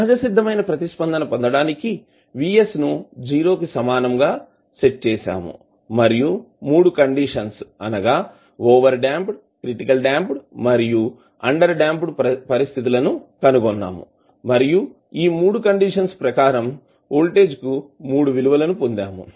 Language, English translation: Telugu, To get the natural response we set Vs equal to 0 and we found the 3 conditions like overdamped, critically damped and underdamped situation and we got the 3 voltage value under this 3 condition